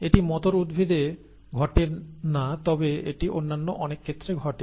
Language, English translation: Bengali, It does not happen in the pea plant but it happens in many other things